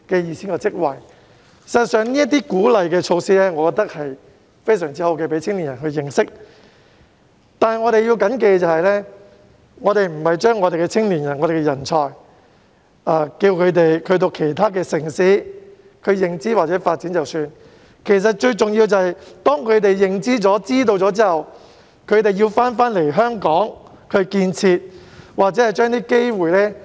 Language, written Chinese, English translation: Cantonese, 事實上，我認為這些鼓勵措施非常好，能夠讓青年人認識內地，但我們要緊記，我們並非叫我們的青年人和人才前往其他城市認知或發展便算，最重要的是當他們有了認知後，回來香港建設或發揮機會。, In fact I think these are excellent facilitation measures which enable young people to get to know the Mainland . Nevertheless we have to bear in mind that we are not simply asking our young people and talents to get to know other cities or develop their careers there . What matters most is that after gaining insights they come back to build Hong Kong or give play to what they have acquired